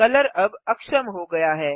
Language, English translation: Hindi, Color is now disabled